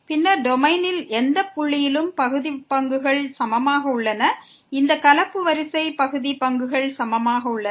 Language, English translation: Tamil, Then at any point in the domain we have the partial derivatives equal; this mixed order partial derivatives equal